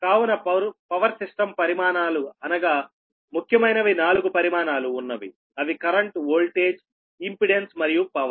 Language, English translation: Telugu, so power system quantities, because you have four quantities, mainly: current voltage, impedance and power